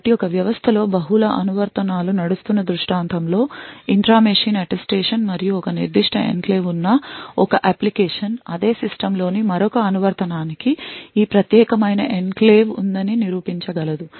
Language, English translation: Telugu, So, the intra machine Attestation in a scenario where there are multiple applications running in a system and one application having a specific enclave can prove to another application in the same system that it has this particular enclave